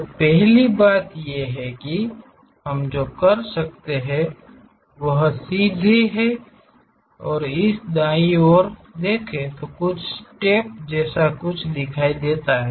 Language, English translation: Hindi, So, the first thing what we can do is straight away, pick this right side view something like steps are visible